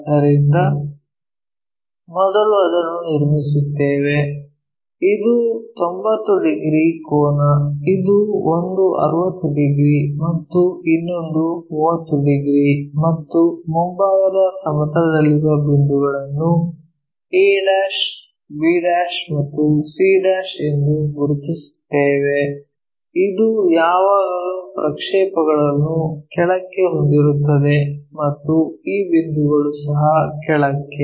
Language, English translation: Kannada, So, we first construct that one, this is 90 degrees angle, this one 60 degrees and this one 30 degrees and locate the points in the frontal plane a', b' and c' this always have projections downwards and this point also downwards